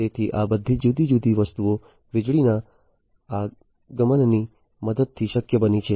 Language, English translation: Gujarati, So, all these different things have been possible with the help of the advent of electricity